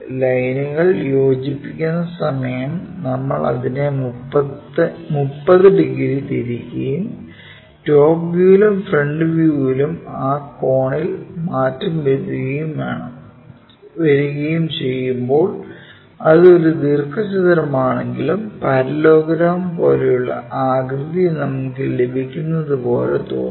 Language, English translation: Malayalam, If we are joining, so though it is a rectangle when we rotate it by 30 degrees and change that angle from top view and front view when we are looking at it, it looks like something namedparallelogram kind of shape we will get